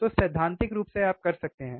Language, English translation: Hindi, So, theoretically you can theoretical you can